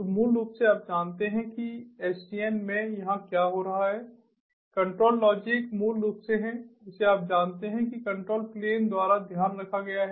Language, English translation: Hindi, so basically, you know, what is happening over here in sdn is that the control logic is basically, you know, taken care of by the control plane